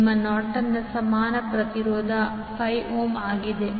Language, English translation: Kannada, Your Norton’s equivalent impedance is 5 ohm